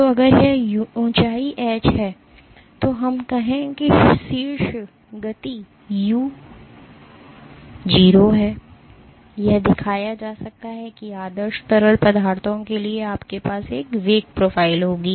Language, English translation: Hindi, So, if this height is h let us say the top speed is u0, it can be shown that for ideal fluids you will have a velocity profile